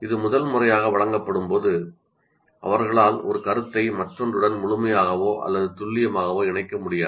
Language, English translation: Tamil, When it is first time presented, they will not be able to fully or accurately connect one to the other